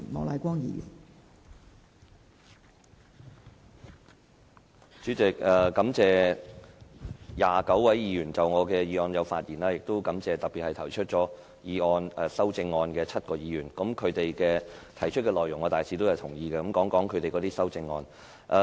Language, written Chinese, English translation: Cantonese, 代理主席，感謝29位議員就我的議案發言，亦特別感謝提出修正案的7位議員，他們修正案的內容我大致同意，我會談談他們的修正案。, Deputy President I thank the 29 Members who have spoken on my motion in particular the seven Members who have proposed amendments . I generally agree with the contents of their amendments and I shall speak on them now